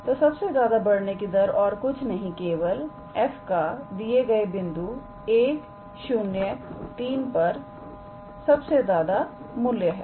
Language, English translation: Hindi, So, this greatest rate of increase is nothing but the maximum value of f at the point 1, 0 and 3